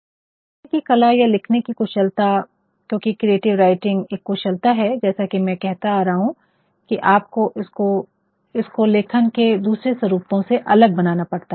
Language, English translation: Hindi, Now, this art of writing or the craft of writing because creative writing is a craft as I have been saying, that you actually have to make it different and distinct from other forms of writing